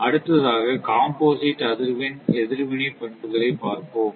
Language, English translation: Tamil, Now, next is the composite frequency response characteristic right